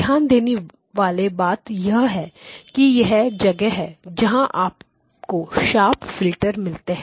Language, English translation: Hindi, The key point to note is that this is where you get the sharp filters